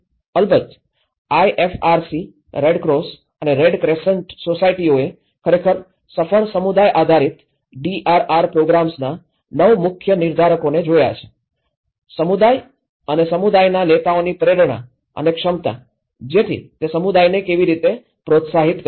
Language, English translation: Gujarati, Of course, the IFRC; the Red Cross and Red Crescent Societies have actually looked at the 9 key determinants of a successful community based DRR program; the motivation and capacity of the community and community leaders so, how it has motivated the community